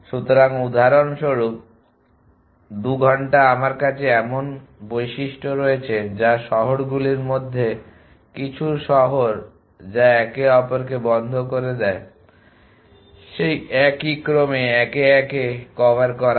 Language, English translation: Bengali, So for example, 2 hour have me features such that some cities thing of cities which away close each other are covered one by one in that order